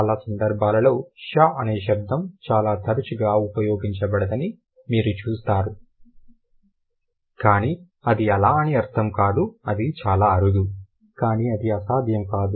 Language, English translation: Telugu, In most of the cases you see sure as a sound is not very frequently used but that doesn't mean that it is it is not it could be rare but it's not something which is impossible